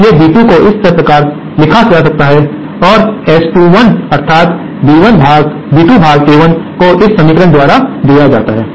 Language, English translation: Hindi, Hence B2 is written like this and S21 that is B2 upon A1 is given by this equation